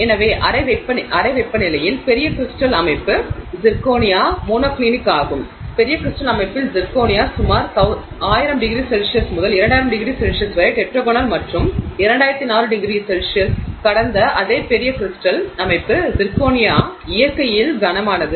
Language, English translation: Tamil, So, large crystal structure is zirconia at room temperature is monoclinic, at large crystal structure zirconia at about 1,000 to 2,000 degrees centigrade is tetragonal and the same large crystal structure zirconia passed about 2,400 degrees c is cubic in nature